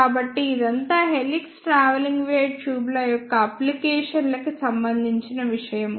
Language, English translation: Telugu, So, this is all about the applications of helix travelling wave tubes